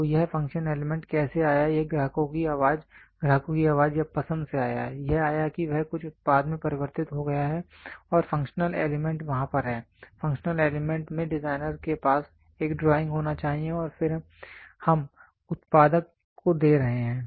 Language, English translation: Hindi, So, how did this function element come this came from the customers voice, customer voice or choice it came he converted into some product and the functional elements are there, functional elements the designer should have a drawing and then he is we are giving it to the manufacturer